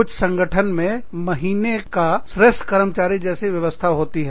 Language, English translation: Hindi, Some organizations have systems like, employee of the month